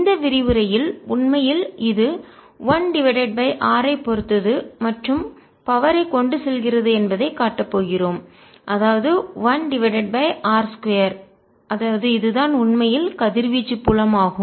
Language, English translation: Tamil, in this lecture we are going to show that this field indeed has a, an r dependence and carries out power that is one over r square, and then that means this is indeed radiation field